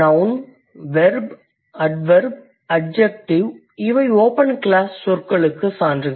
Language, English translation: Tamil, So, the nouns, the verbs, adverbs and adjectives, these are the open class words